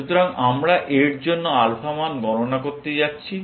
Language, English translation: Bengali, So, we are going to compute alpha values for this